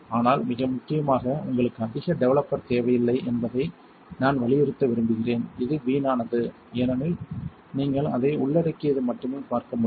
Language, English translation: Tamil, But the most importantly, I want to stress you do not that need much developer anymore in this is wasteful as you can see it only covers